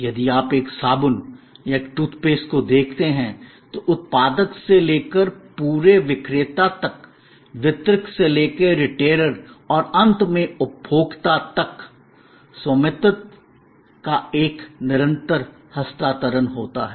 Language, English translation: Hindi, If you look at a soap or a tooth paste, there is a continuous transfer of ownership from the manufacturer to the whole seller to the distributor to the retailer and finally, to the consumer